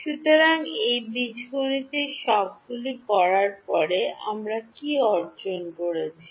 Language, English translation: Bengali, So, after doing all of this algebra can, what have we gained